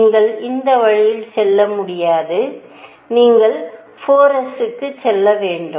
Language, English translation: Tamil, You cannot go this way; you have to go to 4 s